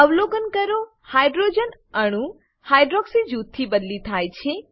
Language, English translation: Gujarati, Observe that the hydrogen atom is replaced by hydroxy group